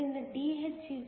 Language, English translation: Kannada, So, Dh= kTeh=2